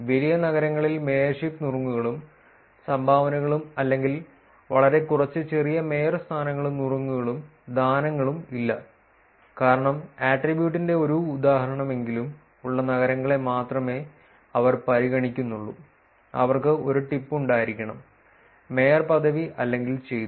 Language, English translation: Malayalam, Large amount of cities do not have mayorship tips and dones or very little as many little mayorship, tips and dones because the condition was that they were considering only cities with at least one instance of the attribute, which is they should have had one tip, mayorship or done